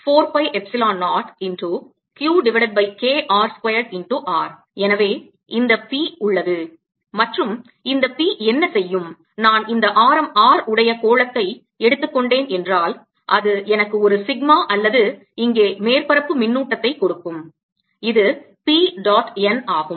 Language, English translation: Tamil, if i take this, make this sphere of radius r, it will give me a sigma or the surface charge here, which is p dot n